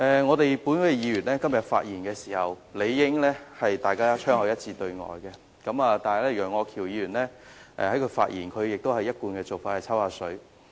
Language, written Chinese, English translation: Cantonese, 至於本會議員，我們今天的發言亦應槍口一致對外，但楊岳橋議員仍採取其一貫作風，在發言中"抽水"。, As for the Members of this Council we should be united on the same front when we speak today . However Mr Alvin YEUNG as a matter of his usual style took advantage of others in making his remarks